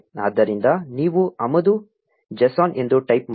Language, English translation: Kannada, So, you type import j s o n